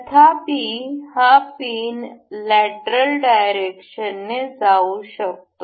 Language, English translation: Marathi, However, this can move in the lateral direction